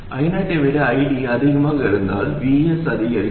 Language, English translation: Tamil, If ID is greater than I0, VS increases and we want to reduce VG